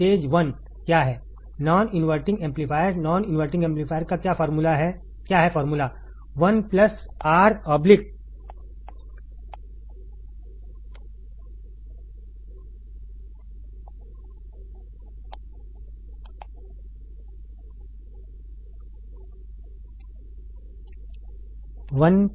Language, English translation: Hindi, Stage one is what, non inverting amplifier, non inverting amplifier what is the formula is 1 plus Rf by R1 right